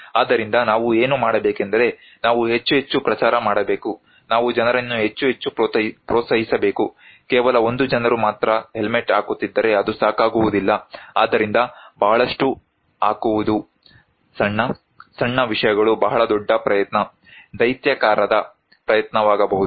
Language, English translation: Kannada, So, what we need to do is then we need to promote more and more, we need to encourage people more and more people should do it, only one people is putting helmet it is not enough right, so putting a lot; small, small, small, small , small things can be a very big, very big effort, a gigantic effort